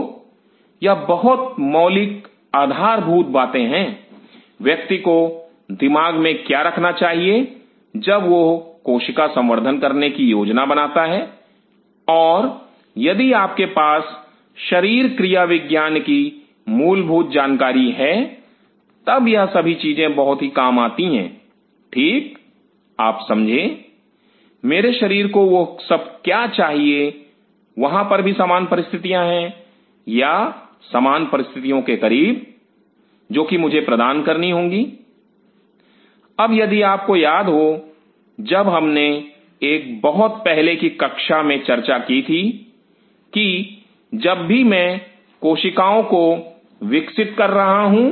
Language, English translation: Hindi, So, these are the very basic fundamental; what one has to keep in mind while one is planning to do cell culture and if you have the basic knowledge physiology, then these things should come very handy fine you know; what all my body needs; there is the same condition or close to the same condition, I will have to provide; now if you remember, when we talked in one of the very early classes that whenever I am growing the cells